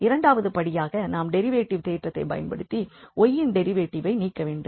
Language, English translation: Tamil, The third step is to take the inverse so that we get y from here